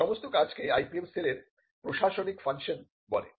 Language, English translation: Bengali, Now, this tells the administrative function of the IPM cell